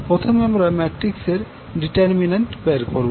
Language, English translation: Bengali, In this case also, we will first determine the value of determinant of this matrix